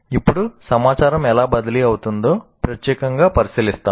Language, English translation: Telugu, Now we look at it specifically how the information is getting transferred